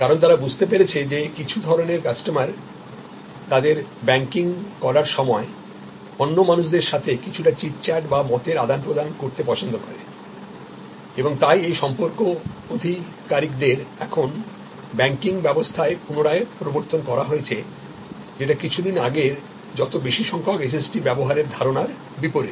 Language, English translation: Bengali, Because, they understand that sometimes people customer's of this profile they like to interact with other human beings have some chit chat while they are doing their banking and therefore, these relationship executives have been now re introduced in the banking system as suppose to earlier emphasize on as much SST as possible